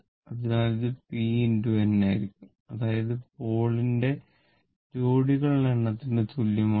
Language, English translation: Malayalam, So, this will be p into n; that means, p is equal to this p is number of pole pair